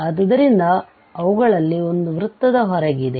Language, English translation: Kannada, So, at least one of them is outside the circle